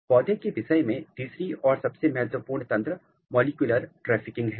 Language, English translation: Hindi, Third and very important mechanism in case of plant is molecular trafficking